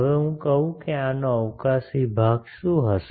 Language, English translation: Gujarati, Now let me say that what will be the spatial part of this